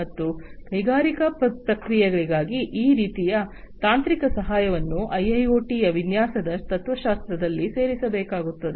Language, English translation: Kannada, And this kind of technical assistance will also have to be incorporated into the design philosophy of IIoT for industrial processes